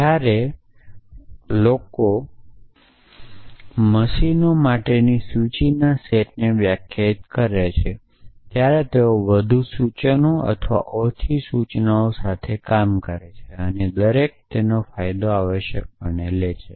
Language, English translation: Gujarati, So, when people define the instruction sets for machines, they work with more instructions or less instructions and each ahs his advantage essentially